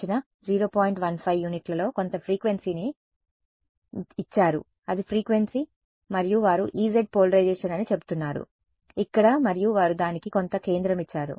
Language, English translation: Telugu, 15 that is the frequency and they are saying that is E z polarisation over here and they have given some centre for it ok